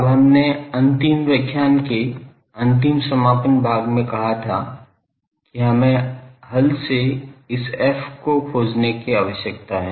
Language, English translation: Hindi, Now, we said in the last concluding part of the last lecture that, till we need to find this f from the solution